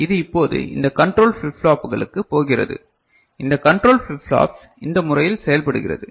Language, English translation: Tamil, And this is now going to this control flip flops ok, these control flip flops this is it works in this manner